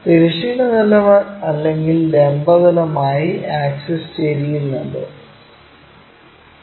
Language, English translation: Malayalam, Now, this axis is neither perpendicular to vertical plane nor to this horizontal plane